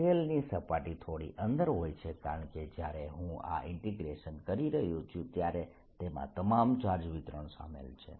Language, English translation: Gujarati, you see, the surface of the shell is slightly inside because when i am doing this integration it includes all the charge distribution